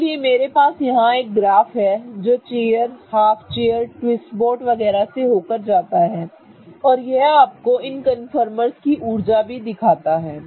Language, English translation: Hindi, So, I have a graph here which goes through chair, half chair, twist boat and so on and it also shows you the energies of these conformers